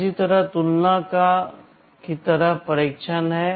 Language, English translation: Hindi, Similarly, there is test kind of a comparison